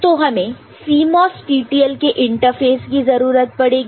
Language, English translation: Hindi, So, then we need CMOS and TTL interface right